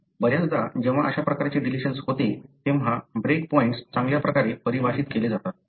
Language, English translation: Marathi, More often when such kind of deletions happen, the break points are well defined